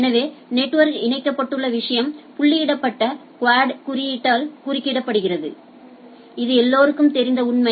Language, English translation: Tamil, So, where the thing where the network is connected represented by dotted quad notation right, this is known fact